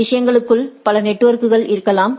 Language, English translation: Tamil, There can be several networks inside the things